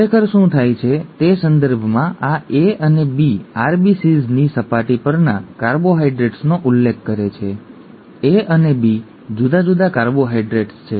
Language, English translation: Gujarati, In terms of what actually happens, this A and B refer to carbohydrates on the surface of RBCs, A and B are different carbohydrates